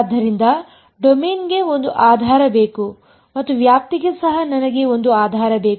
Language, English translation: Kannada, So, therefore, the for the domain I need a basis and for the range also I need a basis ok